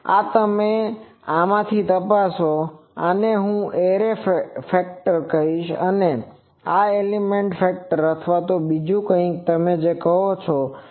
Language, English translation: Gujarati, This you check from the, this is I will say array factor, this is the element factor, element factor or something you say